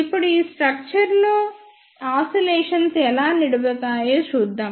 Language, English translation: Telugu, Now, let us see how oscillations are sustained in this structure